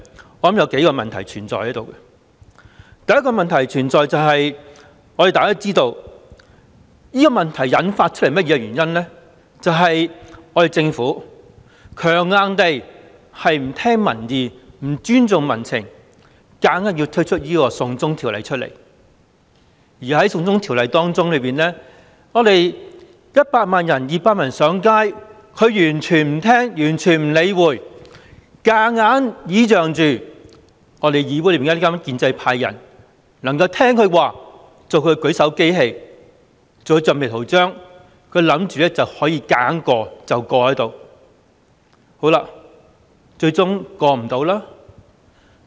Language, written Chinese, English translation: Cantonese, 我認為有數個問題存在：第一個問題就是，大家都知道，引發出這個問題的原因，就是政府不聽民意、不尊重民情，硬推"送中條例"，而針對"送中條例 "，100 萬人、200萬人上街，它完全漠視，強硬倚仗議會內的建制派議員能夠聽從它，做它的舉手機器、橡皮圖章，以為可以強硬通過，但最終無法通過。, I think there are several aspects the first being that as we all know this problem was triggered by the Governments failure to listen to public opinion and disrespect for public sentiment as manifested in its high - handed introduction of the extradition bill which ended up unable to be passed even though the Government totally ignored the 1 million and 2 million people who had taken to the streets against the bill and it forcibly relied on the pro - establishment Members of this Council obediently serving as its hand - raising machines and rubber stamps to supposedly force the bill through